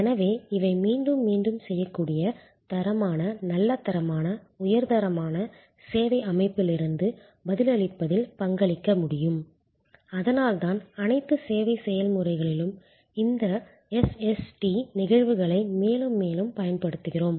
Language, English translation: Tamil, These can therefore, contribute to repeatable, standard, good quality, high quality, response from the service system and that is why we are deploying more and more of this SST instances in all most all service processes